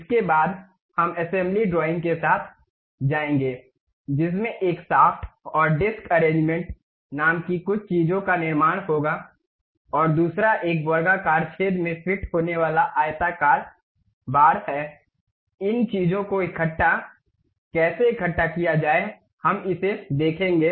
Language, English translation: Hindi, Thereafter, we will go with assembly drawings, constructing something named a shaft and disc arrangement, and other one is a rectangular bar fit in a square hole, how to assemble these things we will see it